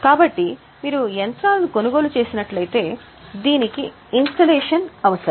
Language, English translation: Telugu, So, if you have purchased machinery, it will need some installation